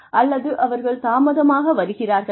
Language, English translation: Tamil, Are they coming late